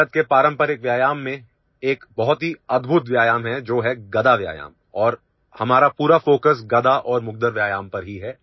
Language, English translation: Hindi, There is a very amazing exercise in the traditional exercises of India which is 'Gada Exercise' and our entire focus is on Mace and Mugdar exercise only